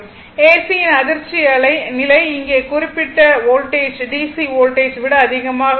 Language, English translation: Tamil, That means that the shock level of AC for the same specified voltage is more than that of the DC voltage